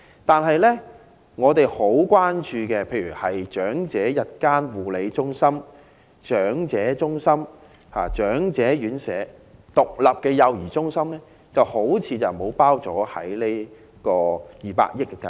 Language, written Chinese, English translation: Cantonese, 但是，我們十分關注的長者日間護理中心、長者中心、長者院舍及獨立幼兒中心似乎未有納入這項涉及200億元的計劃。, Nevertheless the most concerned facilities namely day care centres for the elderly centres for the elderly residential care homes for the elderly RCHEs and standalone child care centres do not seem to fall with the ambit of this 20 billion initiative